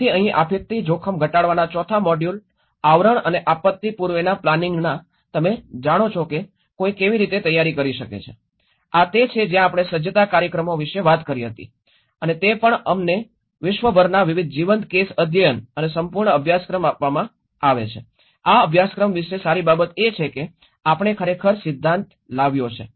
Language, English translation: Gujarati, So here the fourth module covers of disaster risk reduction and the pre disaster planning you know how one can prepare, this is where we talked about the preparedness programs and also we are given various live case studies across the globe and a whole course, a good thing about this course is we actually brought the theory